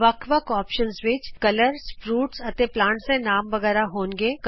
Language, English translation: Punjabi, The different options are names of colors, fruits, plants, and so on